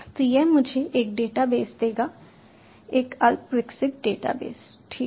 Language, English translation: Hindi, so this will give me a database, a rudimentary database